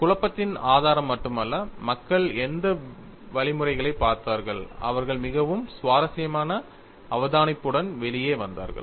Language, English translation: Tamil, This is the source of confusion; not only the source of confusion, but the source by which people looked at the procedure, and they came out with a very interesting observation